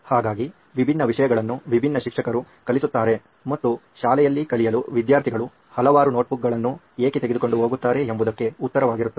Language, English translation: Kannada, So different subjects are taught by different teachers that would be the answer to why students are carrying several notebooks for learning in school